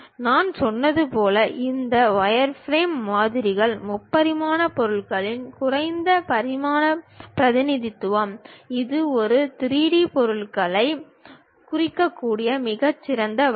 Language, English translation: Tamil, As I said these wireframe models are low dimensional representation of a three dimensional object; this is the minimalistic way one can really represent 3D object